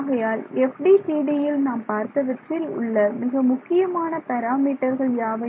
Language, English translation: Tamil, So, what are the main parameters that we have seen so far in the FDTD